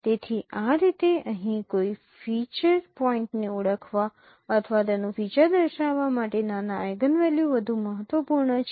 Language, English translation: Gujarati, So that is how the smaller eigenvalue is more important in this case to identify or to characterize a feature point here